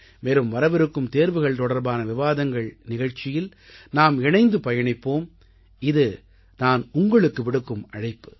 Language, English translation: Tamil, We will all celebrate the upcoming program on Examination Discussion together I cordially invite you all